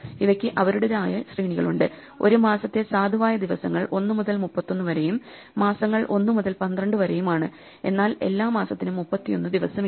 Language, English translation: Malayalam, And these have their own ranges: the valid days for a month range from 1 to 31 and the months range from 1 to 12, but not every month has 31 days